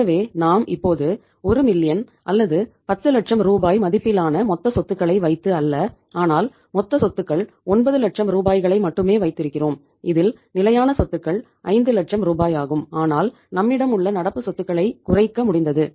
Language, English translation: Tamil, So it means we are now doing the business not by having total assets of the 1 million or 10 lakh rupees but by having only the say uh total assets of 9 lakh rupees out of which fixed asset level is same that is 5 lakh rupees but we have been able to reduce the current assets